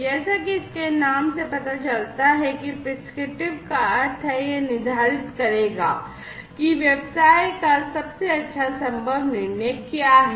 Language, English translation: Hindi, As this name suggests prescriptive means that it will prescribe, that what is the best possible business decision right